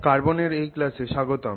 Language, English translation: Bengali, Hello, welcome to this class on carbon